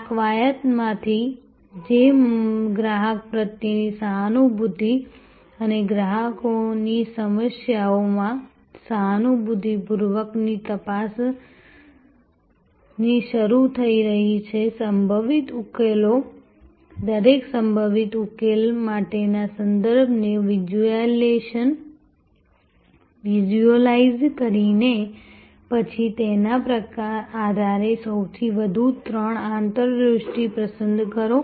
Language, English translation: Gujarati, From this exercise, which is starting with empathy for the customer and empathetic probe into the customers problem visualizing the possible solutions, the context for each possible solution, then select at the most three insights really based on what if